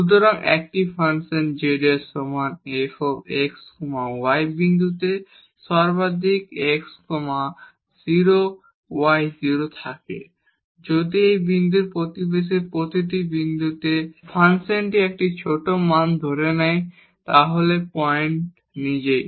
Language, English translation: Bengali, So, a functions z is equal to f x y has a maximum at the point x 0 y 0 if at every point in a neighborhood of this point the function assumes a smaller values then the point itself